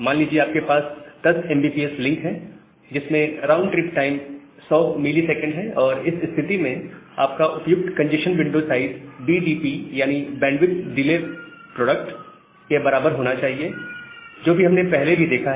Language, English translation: Hindi, So, assume that you have a 10 mbps link you have a 10 mbps link with 100 milliseconds of round trip time, and in that case, your appropriate congestion window size should be equal to BDP the Bandwidth Delay Product, that we have seen earlier